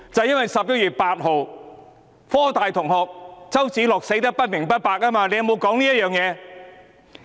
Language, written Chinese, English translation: Cantonese, 因為在11月8日，香港科技大學的周梓樂同學死得不明不白。, It was because on 8 November CHOW Tsz - lok a Hong Kong University of Science and Technology student died in unclear circumstances